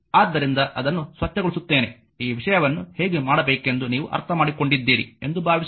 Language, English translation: Kannada, So, just clean it right hope things you have understood that how to make this thing right